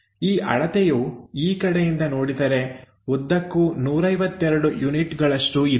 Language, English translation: Kannada, This length if we are looking from here all the way there this is 152 units